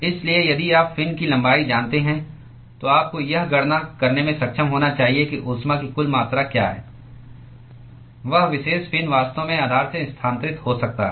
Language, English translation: Hindi, So, if you know the length of the fin, then you should be able to calculate what is the total amount of heat that that particular fin can, actually transfer from the base